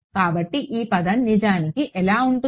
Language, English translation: Telugu, So, this term is actually going to be